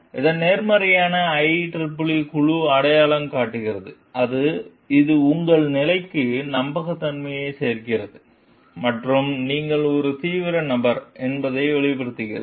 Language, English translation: Tamil, The positives of that the, with the IEEE committee identifies is that; it adds credibility to your position makes it obvious like you are a serious person